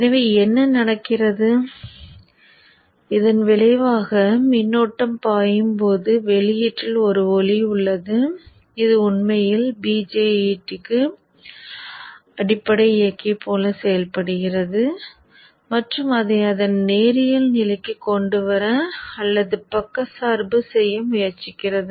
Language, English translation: Tamil, So what happens in effect is that as the current flows through this, there is a light output which is actually acting like a base drive for this BGET and tries to bring it or bias it to its linear region